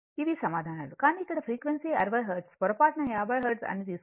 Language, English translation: Telugu, These are the answers, but here frequency 60 hertz by mistake do not take 50 hertz then this answer will not come